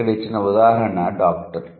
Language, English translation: Telugu, The example given here is doctor